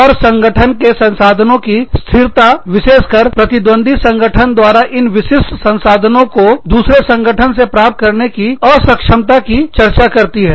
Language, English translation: Hindi, And, firm resource immobility, specifically deals with, the inability of competing firms, to obtain these specific resources, from other firms